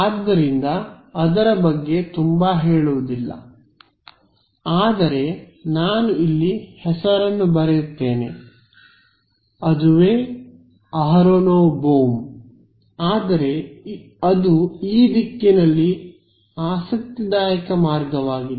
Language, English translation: Kannada, So, I mean we will not go further, but I will write the name over here you can look it up aronov Bohm so, but that is an interesting detour along the direction